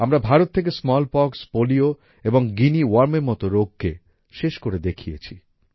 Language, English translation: Bengali, We have eradicated diseases like Smallpox, Polio and 'Guinea Worm' from India